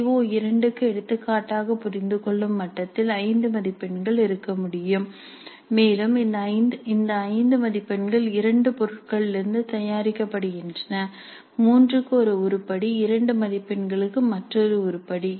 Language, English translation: Tamil, So for CO2 for example at understand level it is to have 5 marks and these 5 marks are made from 2 items, one item for 3 marks, another item for 2 marks